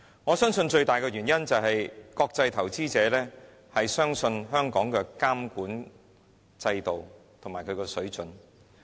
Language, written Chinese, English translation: Cantonese, 我相信最大的原因，是國際投資者相信香港的監管制度和水準。, There are reasons for this and I believe the major reason is that international investors trust the regulatory regime and standards of Hong Kong